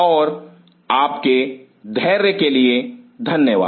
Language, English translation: Hindi, And thanks for your patience